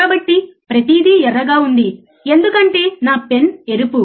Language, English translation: Telugu, So, everything is red, because my pen is red